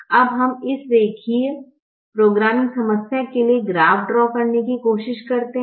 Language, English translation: Hindi, now we try to draw the graph for this linear programming problem